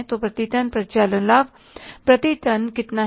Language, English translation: Hindi, So the operating profit per ton is going to be how much